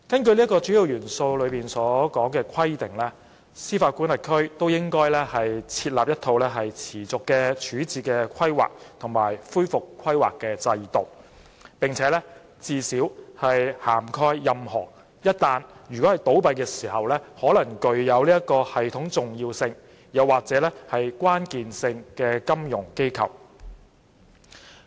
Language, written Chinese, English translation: Cantonese, 《主要元素》規定，各司法管轄區均應設立一套持續的處置規劃及恢復規劃制度，最少涵蓋任何一旦倒閉時可能具有系統重要性或關鍵性的金融機構。, The Key Attributes require jurisdictions to put in place an ongoing process for resolution and recovery planning covering at a minimum FIs that could be systemically important or critical if they fail